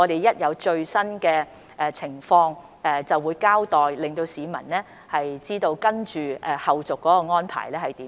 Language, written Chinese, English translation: Cantonese, 一有最新發展，我便會作出交代，讓市民知道有何後續安排。, Once latest update is available I will give an account so that people can learn about the follow - up arrangements